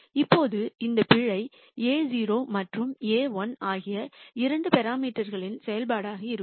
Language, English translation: Tamil, Now, this error is going to be a function of the two parameters a naught and a 1